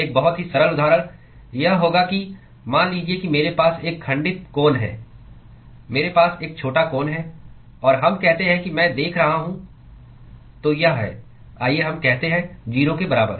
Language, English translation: Hindi, A very simple example would be that, supposing I have a truncated cone, I have a truncated cone and let us say I am looking at so, this is, let us say at